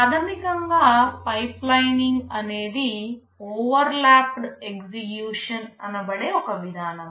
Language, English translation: Telugu, Basically pipelining is a mechanism for overlapped execution